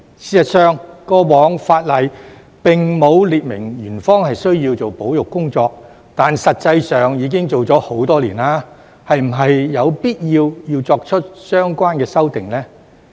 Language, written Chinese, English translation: Cantonese, 事實上，過往法例並沒有列明園方需要做保育工作，但實際上已做了很多年，是否有必要作出相關修訂呢？, In fact the law did not explicitly require Ocean Park to undertake conservation but it has been doing so for many years . Is it necessary to introduce the relevant amendment?